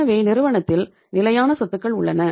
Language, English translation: Tamil, So we have the fixed assets in the firm